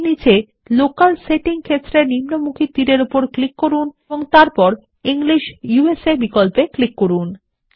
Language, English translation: Bengali, Below that click on the down arrow in the Locale setting field and then click on the English USA option